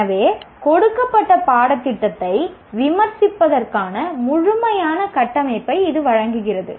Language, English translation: Tamil, So it provides a complete framework for critiquing a given curriculum